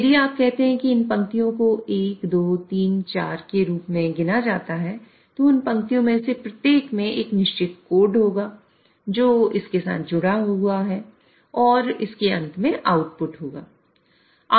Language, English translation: Hindi, So if you say these are rungs are numbered as 1, 2, 3, 4, then every one of those lines will have a certain set of code which is associated with it and there will be an output at the end of it